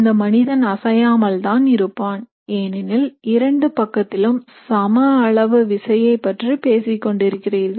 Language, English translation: Tamil, The person will be stationary because you are talking about equal forces on both side